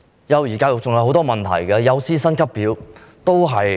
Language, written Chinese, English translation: Cantonese, 幼兒教育還有許多問題，例如幼師薪級表的問題。, There are many other issues relating to early childhood education eg . a salary scale for kindergarten teachers